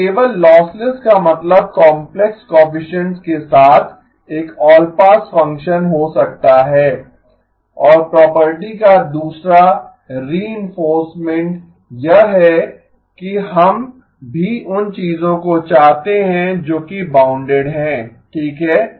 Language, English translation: Hindi, So just lossless could mean an all pass function with complex coefficients and another reinforcement of the property is that we also want things that are bounded okay